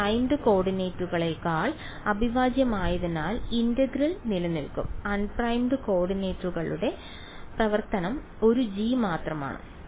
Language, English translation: Malayalam, The integral will remain because this is integral over primed coordinates the function which is of un primed coordinates is only one g